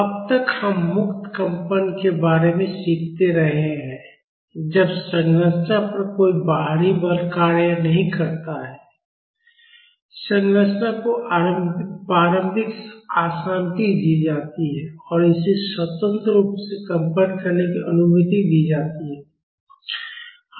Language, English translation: Hindi, So, far we have been learning about Free Vibrations that is when there is no external force acting on the structure; the structure is given an initial disturbance and it is allowed to freely vibrate